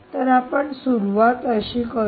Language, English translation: Marathi, so how do you start